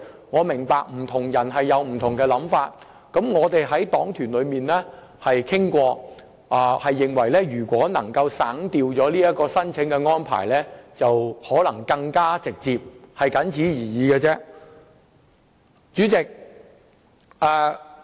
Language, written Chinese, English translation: Cantonese, 我明白不同人有不同想法，我們在黨團中亦曾進行討論，認為省掉這項申請安排，可能會令效果更加直接。, I understand that different people have different views . During the previous discussions in the caucus of our party we have considered that the exclusion of this application procedure might yield more direct results